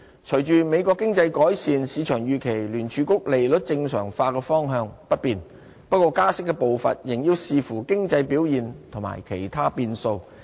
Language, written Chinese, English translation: Cantonese, 隨着美國經濟改善，市場預期聯儲局利率正常化的方向不變，不過加息步伐仍要視乎經濟表現和其他變數。, With the improvement in the United States economy the market expects the Federal Reserve to stick with interest rate normalization but the pace of rate hike will depend on economic performance and other variables